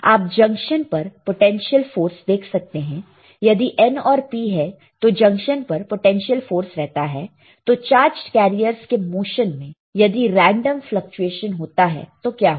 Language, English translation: Hindi, You see potential force on the junction, potential force from the junction if there is N and P, what will happen the there is a random fluctuation in the motion of a charged carriers